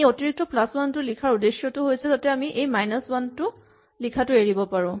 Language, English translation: Assamese, So, the main reason for this plus 1 here is to avoid having to write minus 1